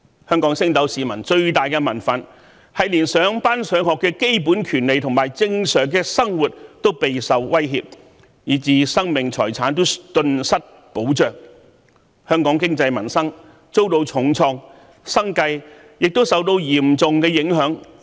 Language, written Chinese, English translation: Cantonese, 香港升斗市民的最大民憤，是連上班、上學的基本權利和正常生活都備受威脅，以致生命財產頓失保障，香港經濟民生遭到重創，生計亦受到嚴重影響。, The greatest indignation of the ordinary public was aroused by the threats to their basic rights and normal life of going to work and to school resulting in a loss of the protection for their lives and properties dealing a heavy blow to Hong Kongs economy and peoples livelihood